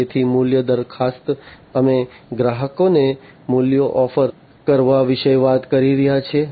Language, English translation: Gujarati, So, value proposition we are talking about offering values to the customers